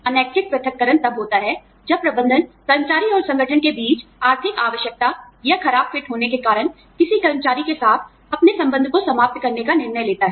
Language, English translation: Hindi, Involuntary separation occurs, when the management decides, to terminate its relationship, with an employee, due to economic necessity, or poor fit, between the employee and the organization